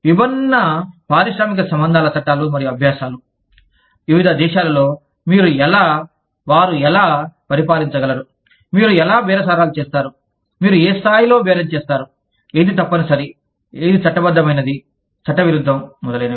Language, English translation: Telugu, Diverse industrial relations laws and practices, in different countries, will govern, how you, they could govern, how you bargain, at what level you bargain, what is mandatory, what is legal, what is illegal, etcetera